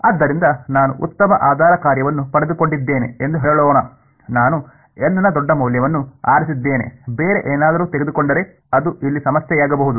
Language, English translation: Kannada, So, let us say that I have got very good basis function I have chosen a large value of N anything else that could be a problem over here